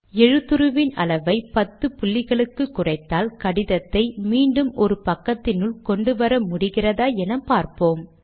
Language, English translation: Tamil, Let us see if the font size is reduced to 10, we can bring the letter back to one page